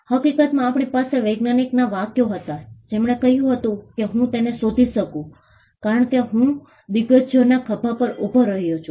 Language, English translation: Gujarati, In fact, we had statements from scientist who have said that if I could look for it is because, I stood on the shoulders of giants